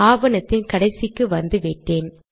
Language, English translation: Tamil, I have come to the end of the document